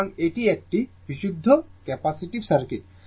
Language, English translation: Bengali, So, this is a purely capacitive circuit